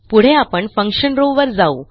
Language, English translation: Marathi, Next, we will go to the Function row